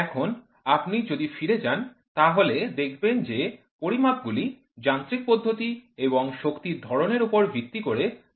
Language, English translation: Bengali, So, if you go back and see, measurements are classified into mechanism type and power type